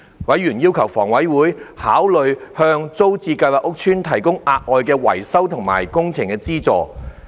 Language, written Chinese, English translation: Cantonese, 委員要求房委會考慮向租置計劃屋邨提供額外的維修及工程資助。, Members requested HA to consider providing additional repair works subsidies to the TPS estates